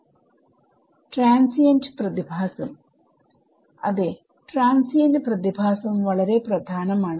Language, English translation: Malayalam, Transient phenomena: yes transient phenomena is very important